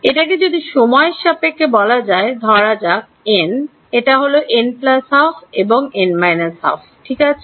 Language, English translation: Bengali, In terms of time since this is say n, this is n plus half and this is n minus half ok